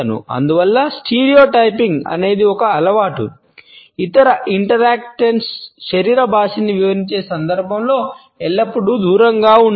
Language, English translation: Telugu, Therefore, a stereotyping is a habit should always be avoided in the context of interpreting the body language of other interactants